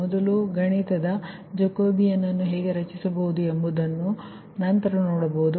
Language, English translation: Kannada, how mathematic jacobian can be formed, will be see later